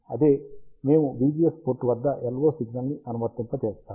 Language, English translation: Telugu, And the same, we apply the LO signal at the V GS port